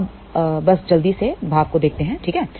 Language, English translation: Hindi, So, now, let just quickly look at the expressions ok